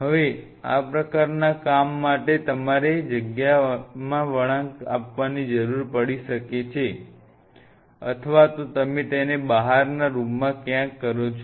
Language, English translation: Gujarati, Now for these kinds of work you may needed to curve out a space either you do it somewhere out here in the outer room where